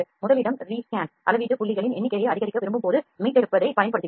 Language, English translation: Tamil, Number one is Rescan; we use rescanning when we want to increase the number of measuring points